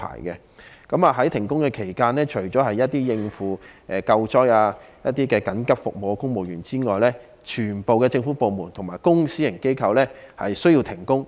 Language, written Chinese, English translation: Cantonese, 在停工期間，除了應付救災和提供緊急服務的公務員外，全部政府部門及公私營機構均必須停工。, During work suspension apart from civil servants who take part in rescue work and emergency services all government departments and public and private organizations are required to suspend operation